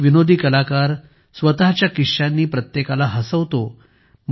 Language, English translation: Marathi, A comedian, with his words, compelles everyone to laugh